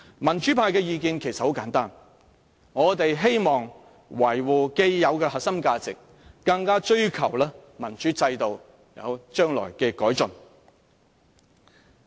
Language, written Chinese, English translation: Cantonese, 民主派的意見其實很簡單，我們希望維護既有的核心價值，更追求民主制度將來有所改進。, Actually the views of the pro - democracy camp are pretty simple . We hope to defend our core values and pursue an improved democratic system in future